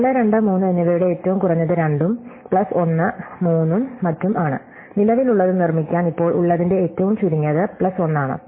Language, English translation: Malayalam, The minimum of 4, 2 and 3 is 2, plus 1 is 3 and so on, so it is the minimum of those plus 1 to make the current